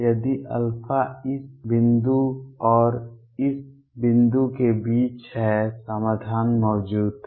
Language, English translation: Hindi, If alpha is between this point and this point solution exists